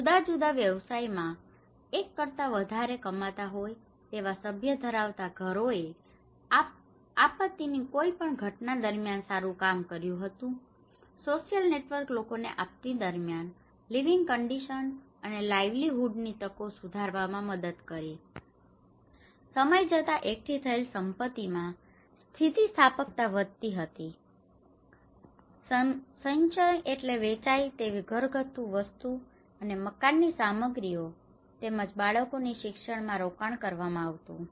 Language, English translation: Gujarati, Households having more than one earning member in diversified professions did better during any event of disaster, social network helped people to get assistance during disasters and improved living conditions and livelihood opportunities, assets accumulated over time increased resilience, accumulation meant acquiring saleable household products and building materials as well as investing in children's education